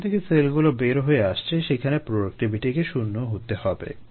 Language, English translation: Bengali, you know cells coming out, so the productivity needs to be zero there